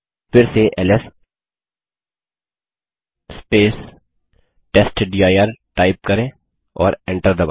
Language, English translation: Hindi, To see them type ls testdir and press enter